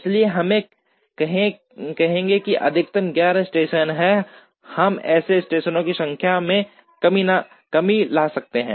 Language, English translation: Hindi, So, we would say that a maximum of 11 stations are there, how can we bring down the number of stations